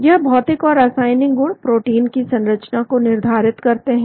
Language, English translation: Hindi, These physio chemical properties determine the protein structure